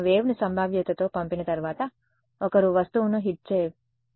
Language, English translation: Telugu, Once I send the wave with probability one is going to hit the object